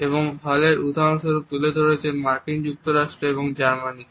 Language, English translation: Bengali, And the examples which Hall has put across is that of the USA and Germany